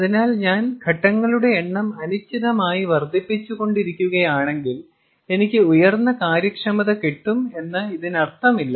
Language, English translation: Malayalam, so therefore, it does not necessarily mean that if i keep on increasing indefinitely the number of stages, i will keep on increasing, i will keep on getting higher and higher efficiencies